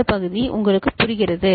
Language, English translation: Tamil, This part you understand